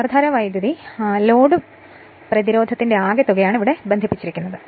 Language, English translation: Malayalam, Since the current will be DC, and that is the sum load resistance is connected here right